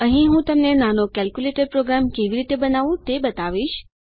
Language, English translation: Gujarati, Here, Ill show you how to create a little calculator program